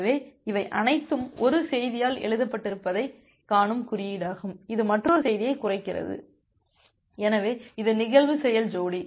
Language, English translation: Tamil, So, this are the notation that you see that everything is written by 1 message slash another message, so this is the event action pair